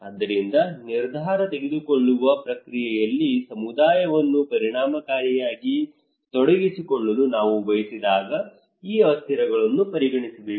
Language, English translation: Kannada, So these variables should be considered when we want effectively to engage community into the decision making process